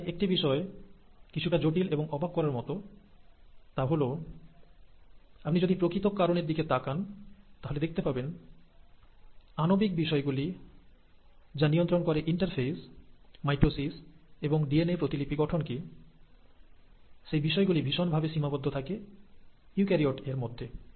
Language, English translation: Bengali, Now, one thing which is intriguing and surprising rather, is that if you were to look at the players, the molecular players which govern this interphase, mitotic phase and DNA replication, you find that they are highly conserved in eukaryotes